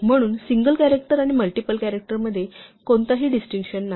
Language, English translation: Marathi, So, there is no distinction between single character and multiple characters